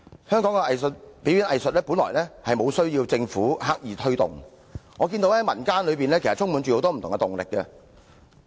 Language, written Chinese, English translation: Cantonese, 香港的表演藝術本來無需政府刻意推動，以我所見，民間充滿了很多不同的動力。, The performing arts in Hong Kong actually do not need the Governments conscious promotion . As I can observe our community is itself full of all kinds of impetuses